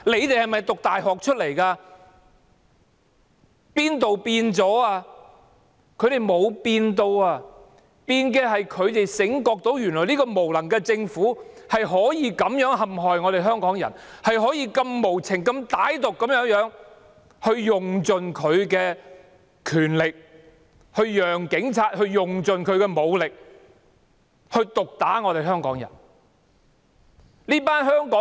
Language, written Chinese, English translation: Cantonese, 他們沒有改變，唯一改變的是他們現在醒覺起來，發現這個無能的政府原來可以這樣栽害香港人，可以無情歹毒地有權用盡，讓警察用盡武力毒打香港人。, They have not changed and the only change that has taken place is that they have now awaken and realized that this incapable Government can oppress Hong Kong people this way use all its power ruthlessly and maliciously and allow the Police to beat up Hong Kong people with all force possible